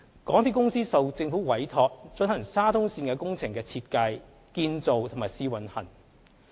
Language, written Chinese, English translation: Cantonese, 港鐵公司受政府委託，進行沙中線工程的設計、建造和試運行。, MTRCL is entrusted by the Government to design construction and commissioning of the SCL works